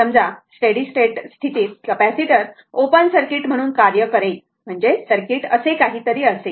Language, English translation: Marathi, Suppose at steady state this capacitor will act as open circuit; that means, circuit will be something like this, right